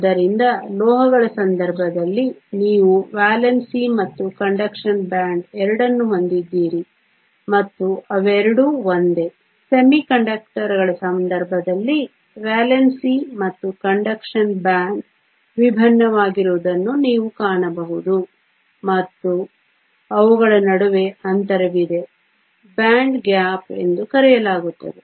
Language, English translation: Kannada, So, in case of metals you have both valence and a conduction band and they are both the same, in the case of semiconductors you will find that the valence and the conduction band are different and, there is a gap between them this is what we called the band gap